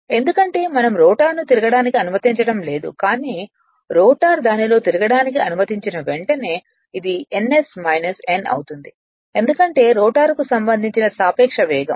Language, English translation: Telugu, It will be just ns with respect to stator because we are not allowing the rotor to rotate, but as soon as you allow the rotor to rotate within it will be ns minus n because relative speed with respect to rotor right